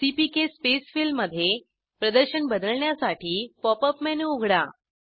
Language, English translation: Marathi, To change the display into CPK Space fill, open the Pop up menu